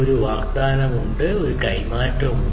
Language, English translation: Malayalam, So, there is a tradeoff